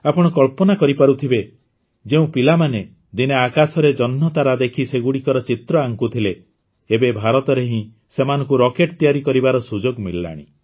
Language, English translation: Odia, You can imagine those children who once used to draw shapes in the sky, looking at the moon and stars, are now getting a chance to make rockets in India itself